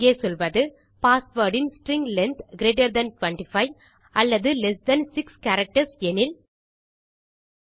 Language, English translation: Tamil, Here I will say if the string length of the password is greater than 25 or string length of our password is lesser than 6 characters...